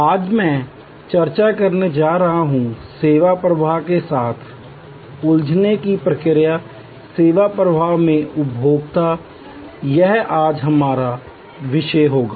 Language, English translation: Hindi, Today, I am going to discuss, the process of engaging with the service flow so, Consumer in the Services flow, this will be our topic today